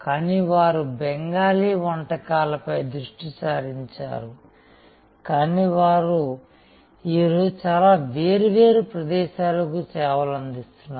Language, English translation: Telugu, But, they remain focused on Bengali cuisine, but they are serving today many different locations